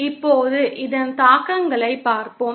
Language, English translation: Tamil, Now let us see the implications of this